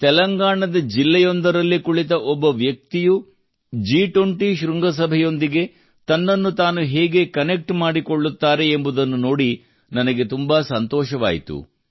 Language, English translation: Kannada, I was very happy to see how connected even a person sitting in a district of Telangana could feel with a summit like G20